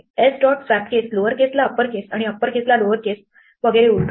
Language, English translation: Marathi, S dot swap case will invert lower case to upper case and upper case to lower case and so on